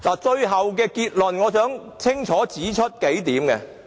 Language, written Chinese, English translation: Cantonese, 最後，我想清楚總結幾點。, Lastly in summing up I would like to clarify a few points